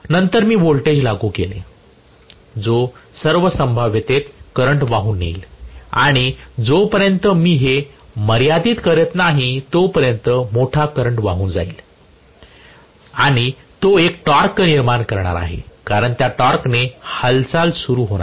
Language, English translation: Marathi, then I have applied a voltage it is going to carry a current in all probability and enormously large current unless I limit it so it is going to carry a large current and it is going to generate a torque because of the torque it is going to start moving